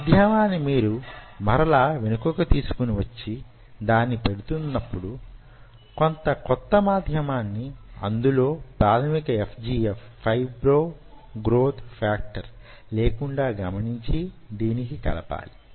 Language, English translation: Telugu, and while you are putting the medium back, you add some fresh medium on top of it which is without basic fgf